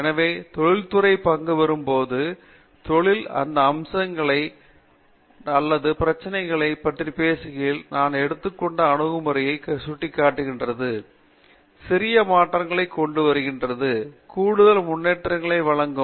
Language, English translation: Tamil, So, when the industry is participating, working on those aspects or problems usually, as I mentioned the approaches they take are only leading to small tweaks which will give incremental advances